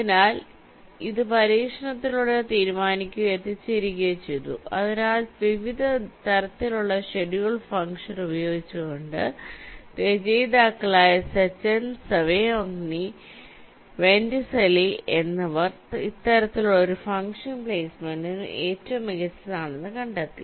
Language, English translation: Malayalam, so by using various different kinds of the schedule function the authors sechen and sangiovanni vincentelli they found that this kind of a function works the best for placement